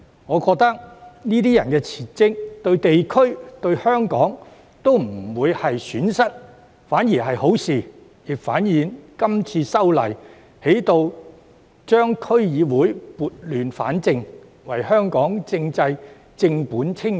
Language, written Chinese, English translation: Cantonese, 我認為這些人即使辭職也不會對地區和香港帶來損失，反而是好事，亦反映《條例草案》能夠為區議會撥亂反正，為香港的政制正本清源。, I think even if these people resign it will bring no harm to the districts and Hong Kong . Instead this will be a good thing . It also demonstrates that the Bill can set things right for DCs and correct the deep - seated problems of Hong Kongs political system